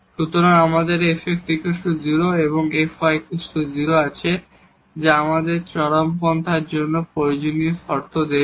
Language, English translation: Bengali, So, we have fx is equal to 0 and fy is equal to 0 that will gives give us the necessary conditions for the extrema